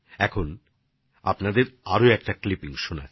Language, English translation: Bengali, Now I present to you one more voice